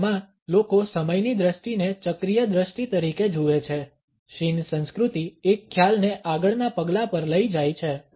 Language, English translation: Gujarati, In Asia the people view the perception of time as a cyclical vision, shin culture takes a concept to a next step